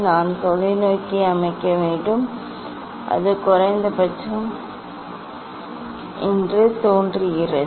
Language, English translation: Tamil, I have to set the telescope it seems that is the minimum